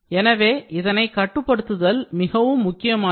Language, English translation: Tamil, So, this is important to be controlled